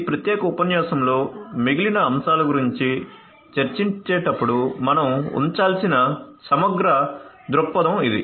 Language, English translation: Telugu, So, this is this holistic perspective that we have to keep when we discuss about the rest of the; rest of the topics in this particular lecture